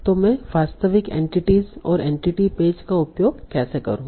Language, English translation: Hindi, So, how do I use the actual entities, entity pages